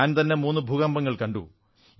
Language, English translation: Malayalam, This house has faced three earthquakes